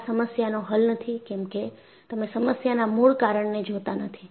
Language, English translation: Gujarati, So, this is not going to solve the problem, because you are not really looking at the root cause of the problem